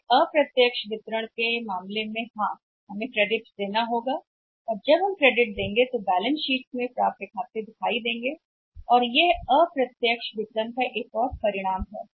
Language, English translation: Hindi, But in case of the indirect distribution yes we have to give the credit and when we give the credit accounts receivables appear in the balance sheet and this another outcome of the indirect marketing